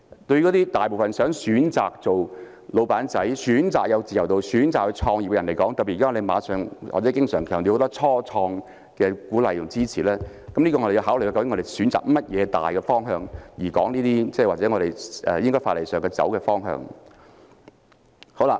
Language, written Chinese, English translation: Cantonese, 對於大部分想選擇當小僱主、選擇有自由度、選擇創業的人而言，特別是在我們經常強調要鼓勵和支持初創的前提下，我們要考慮究竟選擇甚麼大方向，從而探討法例上應走的方向。, Having regard to most people who opt for becoming small employers enjoying freedom and starting businesses and particularly against the background of our constant emphasis on the need to encourage and support start - ups we have to consider which major direction to take so as to map out the way forward for legislation . Now I talk about the issue of responsibility